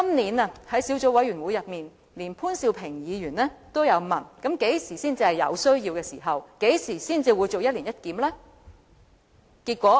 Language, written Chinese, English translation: Cantonese, 在今年的小組委員會會議中，潘兆平議員也問當局何時才是有需要進行一年一檢。, At a meeting of a subcommittee held this year Mr POON Siu - ping asked the authorities when an annual review would be necessary